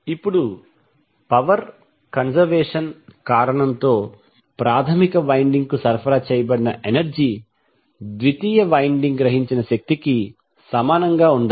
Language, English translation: Telugu, Now the for the reason of power conservation the energy supplied to the primary should be equal to energy absorbed by the secondary